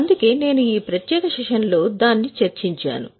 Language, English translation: Telugu, That's why I have covered it in this particular session